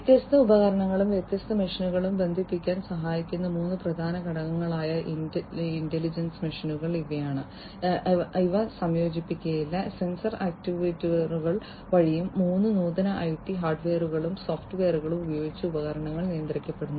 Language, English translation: Malayalam, So, these are the three key elements intelligent machines that help connect different devices and different machines, which may not be co located the devices are controlled through sensors actuators and using different other advanced IT hardware and software